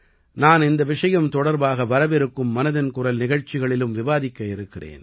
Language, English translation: Tamil, I will also touch upon this topic in the upcoming ‘Mann Ki Baat’